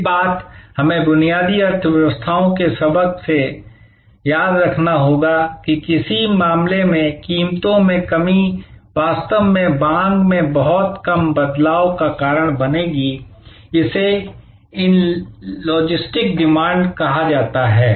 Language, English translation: Hindi, One thing, we have to remember from fundamental economies lesson than that in some case, a reduction in prices will actually cause very little change in the demand, this is called the inelastic demand